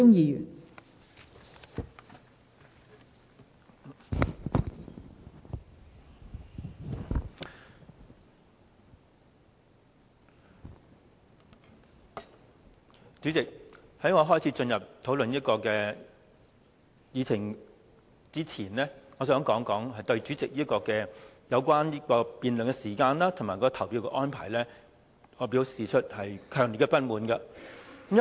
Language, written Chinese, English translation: Cantonese, 代理主席，在我開始討論此項議程之前，我想對主席有關辯論時間及投票的安排，表示強烈的不滿。, Deputy President before I start discussing this agenda item I would like to express my strong dissatisfaction towards the Presidents arrangements on our debating time and on voting